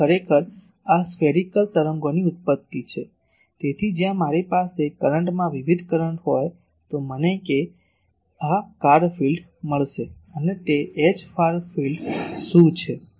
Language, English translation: Gujarati, So, actually this is the genesis of spherical waves so, in a where if I have a current varying current, I will get the far field will be of this and what is H far field